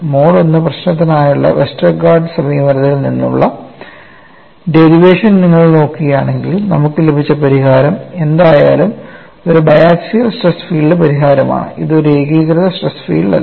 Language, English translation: Malayalam, If you look at the derivation from Westergaard's approach for the mode 1 problem, whatever the solution that we have got was for a biaxial stress field solution; it is not for a uniaxial stress field